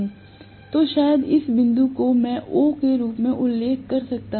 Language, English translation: Hindi, So, maybe this point I can mention as O